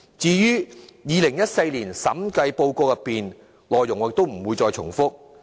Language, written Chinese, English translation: Cantonese, 至於2014年的審計報告，我不再重複其內容。, Regarding the Director of Audits report of 2014 I am not going to repeat its contents